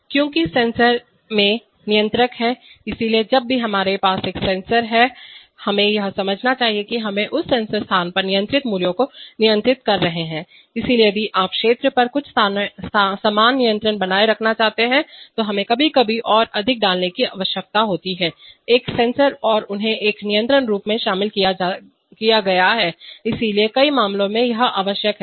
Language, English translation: Hindi, Because the sensor is the controllers I, so therefore whenever we are having a sensors, we should understand that we are controlling the controlled value at that sensor location, so if you want to maintain some uniform control over region sometimes we need to put more than one sensor and incorporate them in a control loop, so this is the requirement in many cases